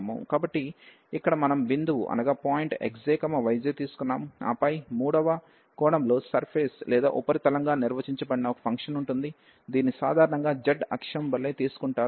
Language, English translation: Telugu, So, here we have taken some point x j, y j and then there will be a function defined as a surface in the third dimension, which is usually taken as z axis